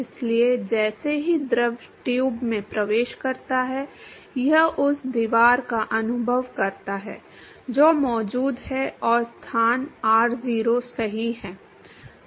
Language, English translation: Hindi, So, as soon as the fluid enters the tube it experiences the wall which is present and location r0 right